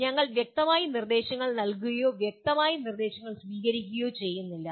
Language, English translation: Malayalam, We do not clearly give instructions nor receive clear instructions